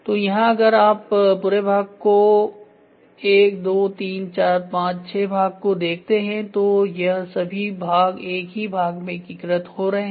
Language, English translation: Hindi, So, here if you see the entire part the entire part or maybe 1 2 3 4 5 6 parts are now getting integrated into one single part